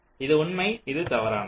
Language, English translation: Tamil, this is true and this is false